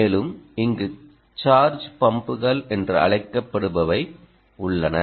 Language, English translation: Tamil, we also mentioned about the fact that there are what are known as charge pumps